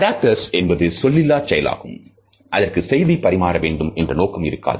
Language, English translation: Tamil, Adaptors are nonverbal acts that are not intended to communicate